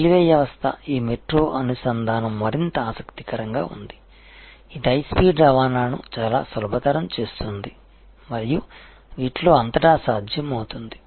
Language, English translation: Telugu, And the railway system are more interestingly this metro linkages, which are making high speed transport quite easy and a possible across these